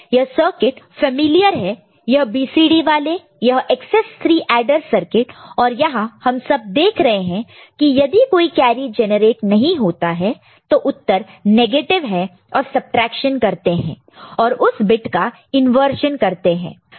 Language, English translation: Hindi, And this circuit is familiar the BCD these XS 3 adder circuit and here what you can see if there is no carry if there is no carry result is negative, right and subtraction is done and inversion of the bit